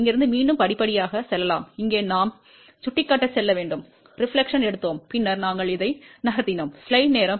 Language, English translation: Tamil, So, what we have done, let us go step by step again from here we have to go to point here we took the reflection and then we move along this